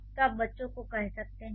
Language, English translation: Hindi, So you can say the child